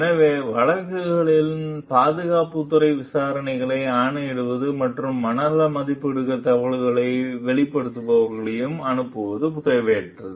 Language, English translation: Tamil, So, by commissioning security department investigations of the cases and sending whistleblowers for psychiatric evaluations was unwarranted